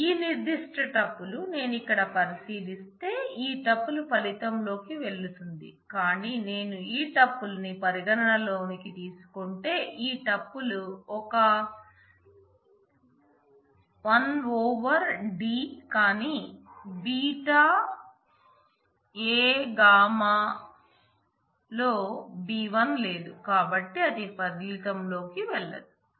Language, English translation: Telugu, So, this particular tuple will go into the result if I look in here this tuple will go into the result, but if I consider this tuple beta a gamma which has a 1 over d, but beta a gamma does not have b 1 it has b 3, so it will not go into the result